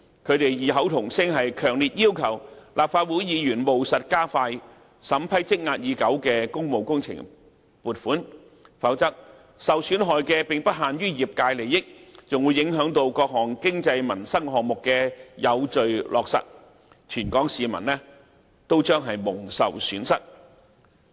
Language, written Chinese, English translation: Cantonese, 他們異口同聲，強烈要求立法會議員務實加快審批積壓已久的工務工程撥款，否則受損害的並不限於業界利益，還有各項經濟民生項目的有序落實，全港市民均將蒙受損失。, They all demanded Legislative Council Members to speed up the approval of funding applications for works projects that have been held up for a long time; otherwise not only the construction sector will be affected the orderly implementation of various economic and livelihood projects will also be impeded . In the end all people in Hong Kong will lose